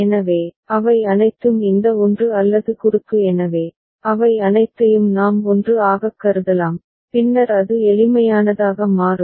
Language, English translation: Tamil, So, all of them are this 1 or cross so, we can consider all of them as 1, then it becomes the simplest possible